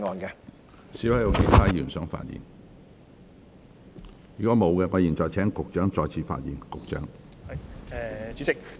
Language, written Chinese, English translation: Cantonese, 如果沒有，我現在請局長再次發言。, If not I now call upon the Secretary to speak again